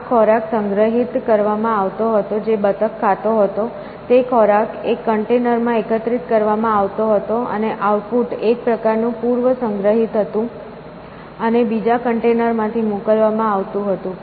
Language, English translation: Gujarati, The food was actually collected in, the food that the duck was supposed to be eating was collected in one container, and the output was sort of prestored and sent out from another container